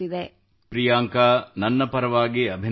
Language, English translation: Kannada, Well, Priyanka, congratulations from my side